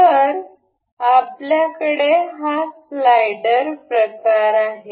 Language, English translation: Marathi, So, here we have this slider kind of thing